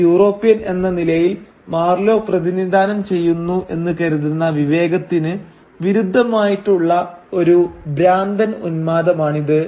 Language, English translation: Malayalam, It is a mad frenzy which provides a contrast for the sanity that Marlow as a European man supposedly represents